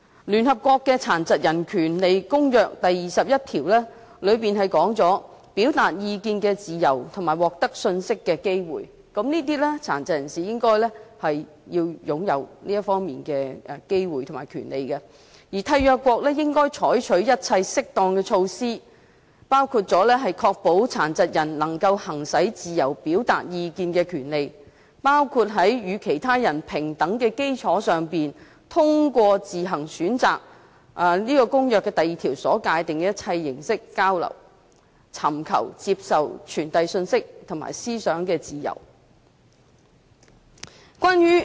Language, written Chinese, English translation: Cantonese, 聯合國《殘疾人權利公約》第二十一條是有關"表達意見的自由及獲得信息的機會"，該條指出殘疾人士應該擁有這方面的機會及權利，而締約國應該採取一切適當的措施，確保殘疾人能夠行使自由表達意見的權利，包括在與其他人平等的基礎上，通過自行選擇《公約》第二條所界定的一切交流形式，享有尋求、接受、傳遞信息及思想的自由。, Article 21 of the United Nations Convention on the Rights of Persons with Disabilities is entitled Freedom of expression and opinion and access to information . This Article provides that persons with disabilities shall have the opportunities and rights in this regard and the signatories shall take all appropriate measures to ensure that persons with disabilities can exercise the right to freedom of expression and opinion including the freedom to seek receive and impart information and ideas on an equal basis with others and through all forms of communication of their choice as defined in Article 2 of the Convention